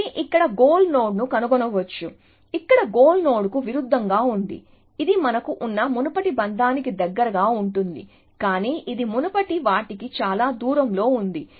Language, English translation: Telugu, So, it might find a goal node here, as oppose to a goal node here, this is close to the previous bound that we had, but this is far there from the previous one